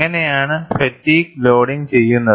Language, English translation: Malayalam, And how is the fatigue loading done